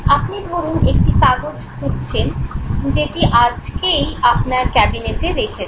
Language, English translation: Bengali, You are no searching for a paper that you have filed in your cabinet